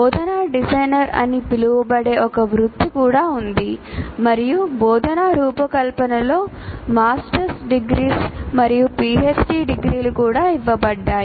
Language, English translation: Telugu, So there is even a profession called instructional designer and there are even master's degrees and PhD degrees given in the area of instructional design